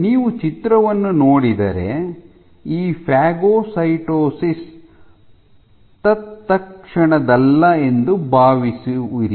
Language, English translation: Kannada, If you play the movie you will see that this phagocytosis is not instantaneous